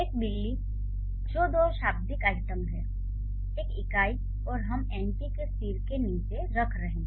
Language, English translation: Hindi, A cat which are two lexical items, one unit and we are putting under the head of NP